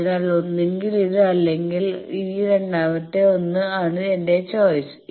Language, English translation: Malayalam, So, either this or this second 1 is my choice